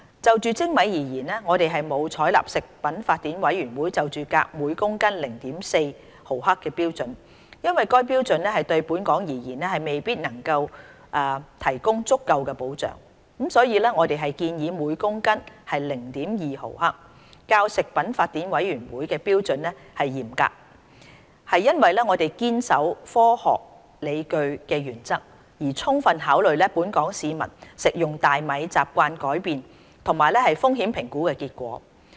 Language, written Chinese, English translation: Cantonese, 就精米而言，我們沒有採納食品法典委員會就鎘含量每公斤 0.4 毫克的標準，因為該標準對本港而言未必能提供足夠保障，所以我們建議每公斤 0.2 毫克，較食品法典委員會標準嚴格，是因為我們堅守科學理據的原則，充分考慮本港市民食用大米習慣的改變及風險評估結果。, As regards polished rice we have not adopted the Codex standard for cadmium of 0.4 mgkg on the grounds that such a standard may not suffice to afford adequate protection to Hong Kong . Therefore we propose a standard of 0.2 mgkg which is more stringent than the Codex standard because we strictly adhering to scientific justifications have thoroughly considered the change in rice consumption habits of the local population and the results of risk assessment studies